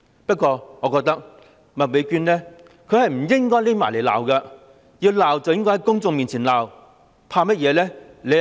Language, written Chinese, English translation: Cantonese, 不過，我認為麥美娟議員不應躲在背後罵她，要罵便在公眾面前罵，有甚麼好怕？, However I think Ms MAK should not heap curses from behind the crowds . If she wants to curse she should do so in front of the crowds . Why be afraid?